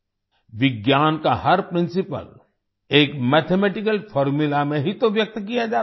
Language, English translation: Hindi, Every principle of science is expressed through a mathematical formula